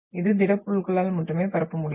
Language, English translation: Tamil, It can only propagate through solids